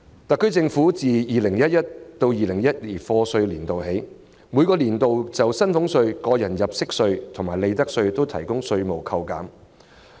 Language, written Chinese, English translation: Cantonese, 特區政府自 2011-2012 課稅年度起，每個年度均就薪俸稅、個人入息課稅及利得稅提供稅務扣減。, Since year of assessment 2011 - 2012 the Special Administrative Region SAR Government has provided reductions of salaries tax tax under personal assessment and profits tax every year